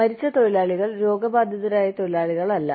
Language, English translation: Malayalam, Deceased workers, not diseased workers